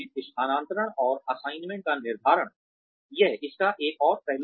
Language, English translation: Hindi, Determining transfers and assignments, that would be another aspect of this